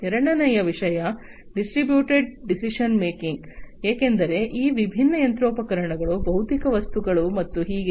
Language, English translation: Kannada, The second thing is distributed decision making; distributed decision making, because these different machinery the physical objects and so on